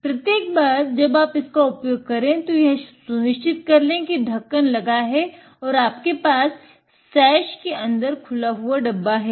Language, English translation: Hindi, Every time you handle it, make sure that the lid is on and have the open the box inside the sash